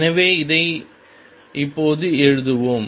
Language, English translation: Tamil, So, let us write this now